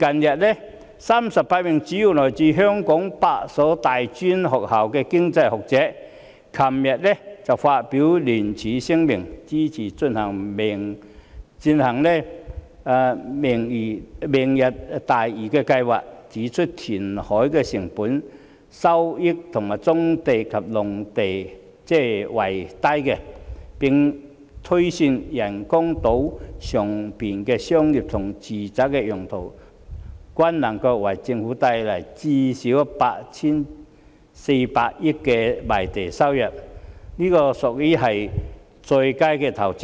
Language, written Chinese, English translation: Cantonese, 昨天 ，38 名主要來自香港8所大專院校的經濟學者發表聯署聲明，支持進行"明日大嶼"計劃，指出填海的成本較收回棕地及農地為低，並推算人工島上商業及住宅用地能夠為政府帶來最少 8,400 億元的賣地收入，屬於上佳的投資。, Yesterday 38 economists from eight tertiary institutions in Hong Kong issued a joint statement in support of Lantau Tomorrow . They pointed out that the cost of reclamation would be lower than that of resuming brownfield sites and farmland and they also projected that the commercial and residential sites on the artificial islands could generate land sale proceeds amounting to at least 840 billion for the Government and so it would be an ideal investment